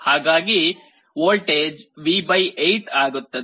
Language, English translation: Kannada, So, the voltage will become V / 8